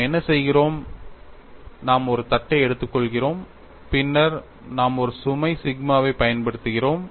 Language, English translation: Tamil, And what we are doing is, we are taking a plate and then, we are applying a load sigma and I am considering one crack tip